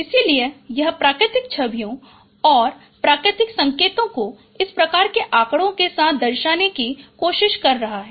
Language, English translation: Hindi, So it is trying to represent the natural images and natural signals with this kind of statistics